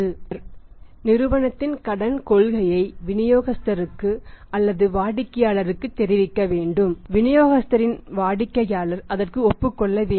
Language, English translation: Tamil, He has to communicate the credit policy of a company to the distributor or to the customer and the customer of the distributor has to agree of that